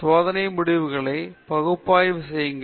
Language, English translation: Tamil, Then analyze experimental results